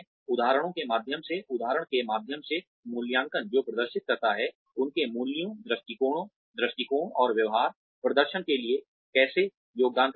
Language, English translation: Hindi, Appraisal through generation of examples by examples that demonstrate, how their values, attitudes, and behaviors, contributed towards performance